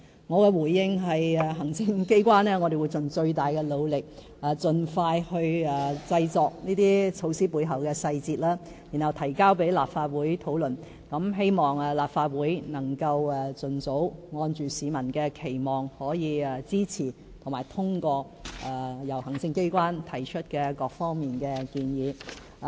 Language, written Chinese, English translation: Cantonese, 我的回應是，行政機關會盡最大的努力，盡快制訂這些措施背後的細節，然後提交立法會討論，希望立法會能盡早按市民的期望，支持及通過由行政機關提出的各項建議。, My response is the executive will do its utmost to formulate the details of these measures as soon as possible and then submit them to the Legislative Council for discussion . We hope the Legislative Council in line with peoples expectation can support and endorse the various proposals put forth by the executive as soon as possible